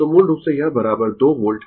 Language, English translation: Hindi, So, basically, it is is equal to 2 volt